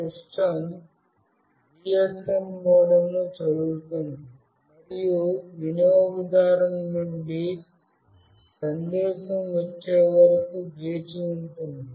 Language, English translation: Telugu, The system reads the GSM modem and waits for arrival of a message from the user